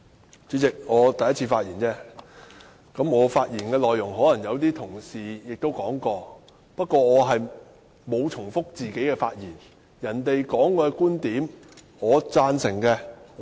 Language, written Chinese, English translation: Cantonese, 代理主席，這是我首次發言，而我的發言內容可能已有同事提及，但我沒有重複自己的觀點。, Deputy President this is the first time I speak and the contents of my speech may have already been mentioned by other colleagues but I have not repeated my viewpoints